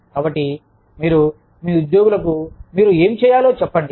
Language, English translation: Telugu, So, you just tell your employees, what you need them to do